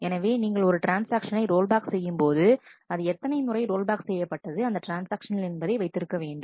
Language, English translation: Tamil, So, when you roll back a transaction, you also keep a number saying that how many times this transaction has been rolled back